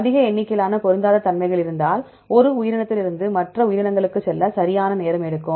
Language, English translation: Tamil, If more number of mismatches it takes time right to go from one organism to other organism